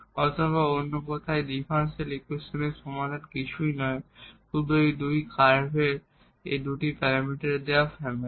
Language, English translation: Bengali, Or in other words the solution of this differential equation is nothing, but this given family of two parameter family of curves